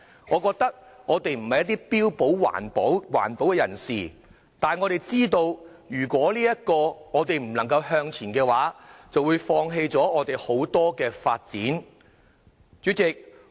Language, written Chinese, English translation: Cantonese, 我們不標榜自己為環保人士，但我們知道，如果不向前走的話，便會放棄很多發展機會。, We do not claim to be environmentalists but we know that we will give up many opportunities of development if we do not move forward